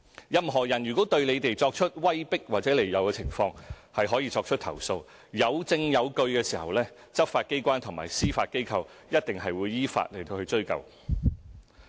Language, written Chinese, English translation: Cantonese, 任何人如果對選委作出威迫和利誘，他們可以投訴。當證據俱在，執法機關和司法機構一定會依法追究。, EC members can lodge a complaint if anyone attempts to coerce or induce them and if the complaint is substantiated law enforcement agencies and the Judiciary will definitely take appropriate actions in accordance with law